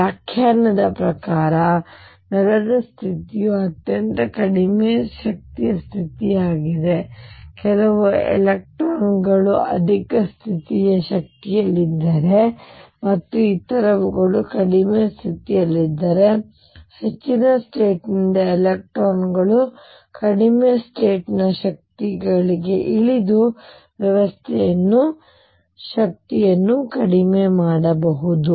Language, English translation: Kannada, Ground state by the definition is the lowest energy state, if some electrons are at higher state energy and others are at lower the electrons from higher state energy can dump come down to lower state energy and lower the energy of the system